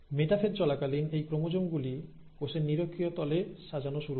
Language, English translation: Bengali, Now during the metaphase, these chromosomes start arranging right at the equatorial plane of the cell